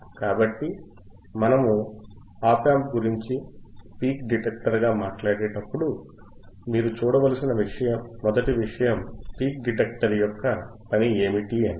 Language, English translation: Telugu, So, when we talk about op amp ias a peak detector, the first thing that you have to see is the function of the peak detector